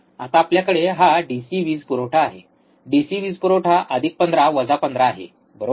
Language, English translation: Marathi, Now, we have here on this DC power supply, DC power supply, plus 15 minus 15 right